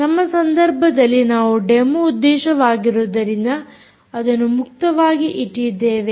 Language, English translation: Kannada, but in our case, what we have done for the purposes of demo, we have made it open